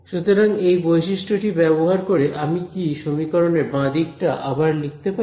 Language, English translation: Bengali, So, looking, using this identity, can I rewrite the left hand side of this equation